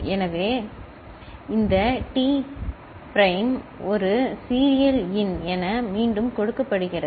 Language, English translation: Tamil, So, this T prime is getting fed back as a serial in ok